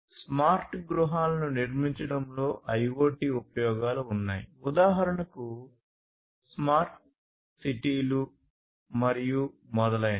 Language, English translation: Telugu, So, IoT finds applications in building smart homes for instance, smart cities and so on